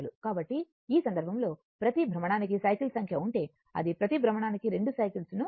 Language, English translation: Telugu, So, in this case, your number of cycles per revolution means it will make 2 cycles per revolution